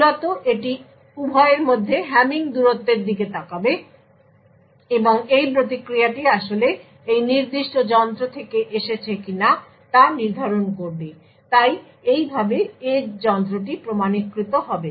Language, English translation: Bengali, Essentially it would look at the Hamming distance between the two and determine whether this response has actually originated from this specific device so in this way the edge device will be authenticated